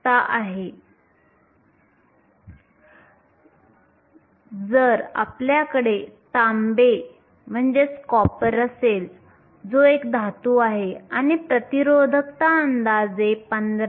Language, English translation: Marathi, If you have copper, which is a metal the resistivity row approximately 15